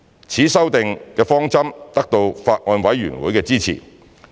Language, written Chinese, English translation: Cantonese, 此修訂方針得到法案委員會的支持。, This approach of amendment was supported by the Bills Committee